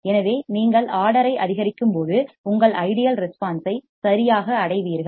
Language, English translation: Tamil, So, as you increase the order you reach your ideal response correct